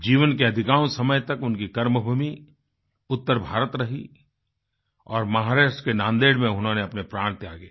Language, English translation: Hindi, For most of his life, his work was centred in North India and he sacrificed his life in Nanded, Maharashtra